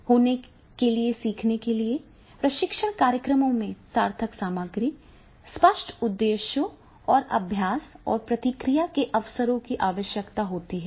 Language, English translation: Hindi, For learning to occur training programs require meaningful material, clear objectives and opportunities for practice and feedback